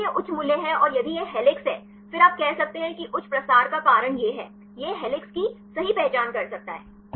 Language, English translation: Hindi, Even if it is high values and if it is helix; then you can say here high propensity this is the reason, it could correctly identify the helix